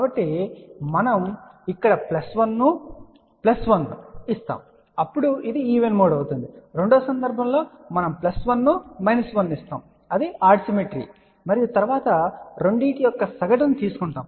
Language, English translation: Telugu, So, we give a plus 1 here plus 1 here then this will be even mode in the second case we give plus 1 we give a minus 1 that is a odd symmetry and then we take the average of the 2